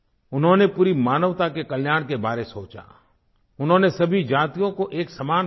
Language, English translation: Hindi, He envisioned the welfare of all humanity and considered all castes to be equal